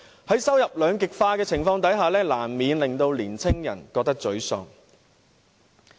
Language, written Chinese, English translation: Cantonese, 在收入兩極化的情況下，年青人難免覺得沮喪。, With income polarization young people will inevitably feel frustrated